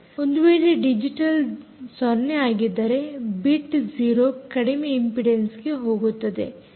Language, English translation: Kannada, and if it is digital zero, bit zero, put it into low impedance